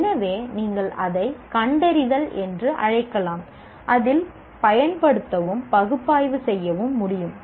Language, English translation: Tamil, So you can call it diagnosis and in that apply and analyze are involved